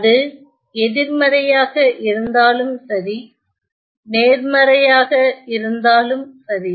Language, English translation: Tamil, Whether it is negative or it is positive